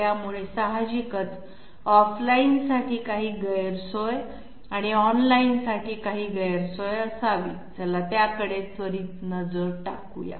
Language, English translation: Marathi, So obviously, there must be some disadvantage for off line and some disadvantage for online as well, let us have a quick look at that